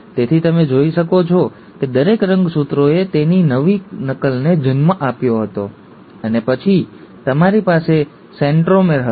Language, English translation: Gujarati, So you can see that each chromosome had given rise to its new copy, and then you had the centromere